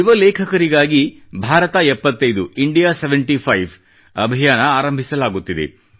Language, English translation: Kannada, An initiative has been taken for Young Writers for the purpose of India SeventyFive